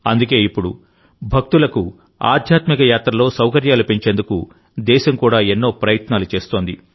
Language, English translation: Telugu, That is why the country, too, is now making many efforts to increase the facilities for the devotees in their spiritual journeys